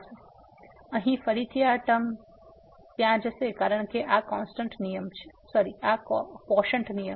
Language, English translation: Gujarati, So, here again this term will go there because this quotient rule